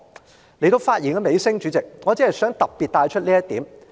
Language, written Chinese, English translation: Cantonese, 主席，來到發言尾聲，我只想特別提到一點。, Chairman nearing the end of my speech I only wish to especially mention one point